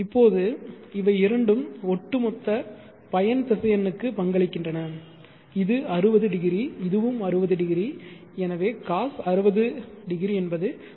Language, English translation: Tamil, Now these two contribute to the overall resultant vector this is 60 degree this60 degrees cos 60 is 0